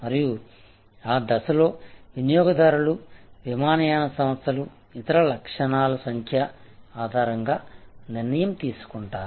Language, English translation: Telugu, And at that stage, customers will make the decision will make the choice, which airlines to fly based on number of other attributes